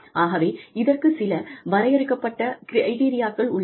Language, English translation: Tamil, So, you know, there are certain defining criteria